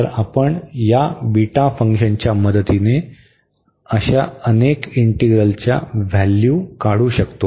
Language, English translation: Marathi, So, we can you evaluate several such integral with the help of this beta function